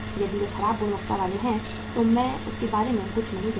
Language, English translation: Hindi, If they are bad quality receivables I do not say anything about that